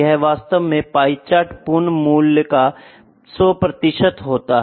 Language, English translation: Hindi, This is actually pie chart is the 100 percent complete values are there